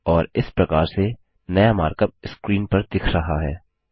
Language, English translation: Hindi, And, thus the new mark up looks like as shown on the screen